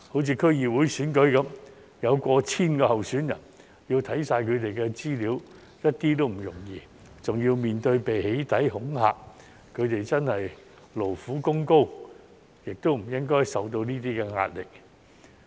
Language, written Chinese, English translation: Cantonese, 以區議會選舉為例，有過千名候選人，要看完他們的資料一點也不容易，還要面對被"起底"、恐嚇，他們真的勞苦功高，亦不應該受到這些壓力。, In the case of District Council elections for example as there were more than 1 000 candidates it was not easy to vet all their information . Furthermore they were even the victims of doxxing and intimidation . They should really be given credit for their hard work and should not be placed under such pressure